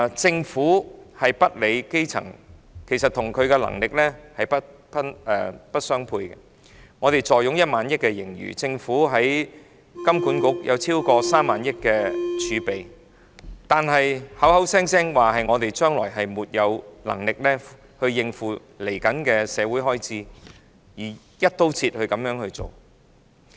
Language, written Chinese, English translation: Cantonese, 政府涼薄、漠視基層，與其能力實不相稱，我們坐擁1萬億元盈餘，政府在香港金融管理局有超過3萬億元儲備，但卻聲稱沒有能力應付日後的社會開支，然後以"一刀切"的方式處理。, The unsympathetic Government is indifferent to the grass roots which is not commensurate with its ability . We have a surplus of 1,000 billion and the Government hoards a reserve of more than 3,000 billion with the Hong Kong Monetary Authority . Yet the Government claims that it is unable to meet the social expenditure in the future and then deals with the problem by adopting an across - the - board approach